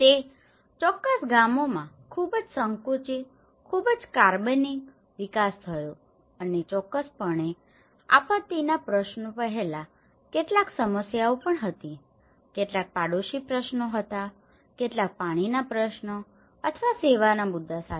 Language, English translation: Gujarati, Were very narrow, very organic development happened in that particular villages and of course there was also some problems before the disaster issues, with some neighbours issues, with some water issues or the service issues